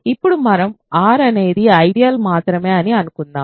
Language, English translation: Telugu, Now let us take suppose that let R be a ring such that the only ideals